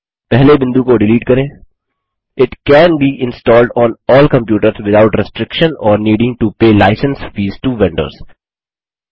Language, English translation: Hindi, Delete the first point It can be installed on all computers without restriction or needing to pay license fees to vendors